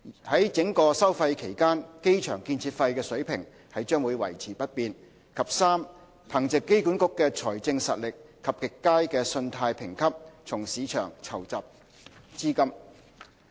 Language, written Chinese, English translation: Cantonese, 於整個收費期間，機場建設費水平將維持不變；及3憑藉機管局的財政實力及極佳的信貸評級，從市場籌集資金。, The charging level of ACF would remain unchanged throughout the collection period; and 3 raising funds from the market leveraging on AAs financial capability and excellent credit rating